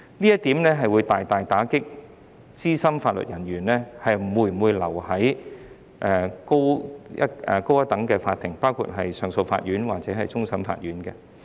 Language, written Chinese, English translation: Cantonese, 這點會大大打擊資深法律人員留在較高等的法庭，包括上訴法庭或終審法院的信心。, This is a heavy blow to the confidence of senior judges and judicial officers in higher courts including CA and the Court of Final Appeal